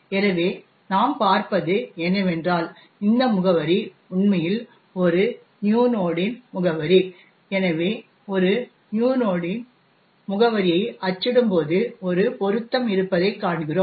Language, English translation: Tamil, So, if we, what we see is that this address is in fact the address of new node, so printing the address of new node we see that there is a match